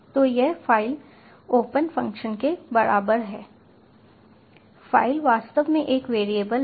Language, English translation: Hindi, so this file equal to open function, the file is actually a variable